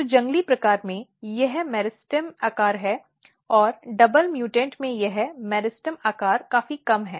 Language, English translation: Hindi, So, in wild type, this is the meristem size and this meristem size is significantly reduced in the double mutant